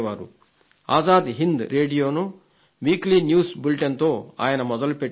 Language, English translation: Telugu, He started the Azad Hind Radio through a weekly news bulletin